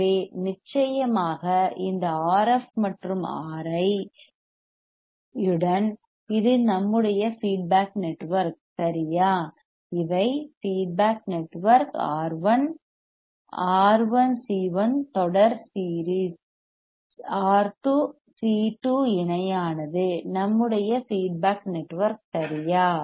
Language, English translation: Tamil, So, of course, with this R f and R I R f and R I this is our feedback network right these are feedback network R 1 R 1 C 1 series R 2 C 2 parallel is our feedback network right